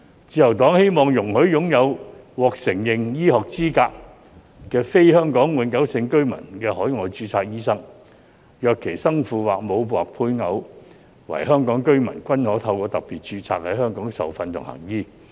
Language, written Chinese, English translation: Cantonese, 自由黨希望容許擁有"獲承認醫學資格"的非香港永久性居民的海外註冊醫生，若其生父或母或配偶為香港居民，均可透過"特別註冊"在港受訓及行醫。, The Liberal Party hopes that a non - HKPR doctor with overseas registration holding a recognized medical qualification will be allowed to receive training and practise in Hong Kong under special registration if heshe is a child born to a HKPR or a spouse of a HKPR